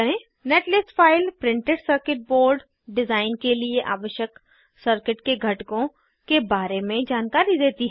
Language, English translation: Hindi, Netlist file contains information about components in the circuit required for printed circuit board design